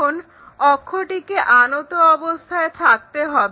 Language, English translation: Bengali, Now, axis has to be inclined